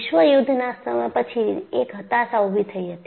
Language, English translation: Gujarati, And, after the world war, there was also depression